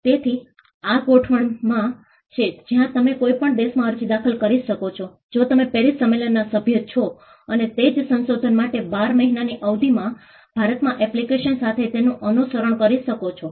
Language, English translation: Gujarati, So, this is in arrangement, where you can file an application in any country, which is a member of the Paris convention and follow it up with an application in India for the same invention, within a period of 12 months